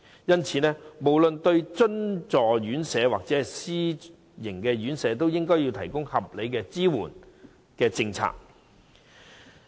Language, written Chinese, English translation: Cantonese, 因此，不論對津助院舍或私營院舍，當局均應該同樣提供合理的支援政策。, Hence the authorities should provide reasonable support policies to both subsidized homes and self - financing RCHEs alike